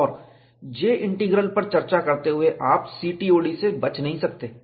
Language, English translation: Hindi, And while discussing J Integral, you cannot avoid CTOD